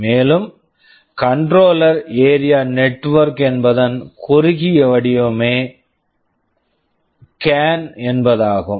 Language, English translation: Tamil, And CAN is the short form for Controller Area Network